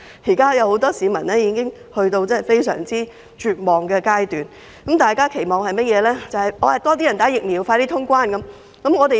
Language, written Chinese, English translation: Cantonese, 很多市民現已處於非常絕望的階段，只能期望有更多人接種疫苗，以便盡快通關。, Many of them have become so desperate that their only hope is pinned on a high vaccination rate which will bring about an early resumption of cross - boundary travel